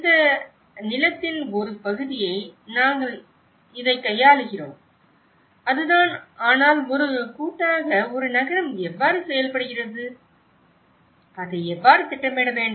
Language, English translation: Tamil, this parcel of land we are dealing with this and that’s it so but how about in a collectively, how a city is working, how we have to plan with it